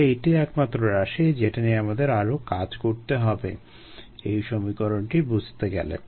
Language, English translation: Bengali, so this is the only term that we need to handle to be to get an handle on this equation